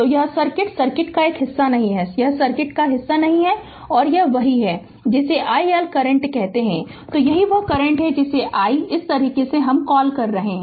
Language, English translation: Hindi, So, this circuit this part of the circuit is not there this part of the circuit is not there right and this is the your what you call the i L current and this is the current your what you call i is coming ah your through this way right